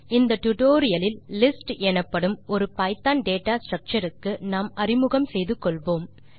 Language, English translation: Tamil, In this tutorial we will be getting acquainted with a python data structure called lists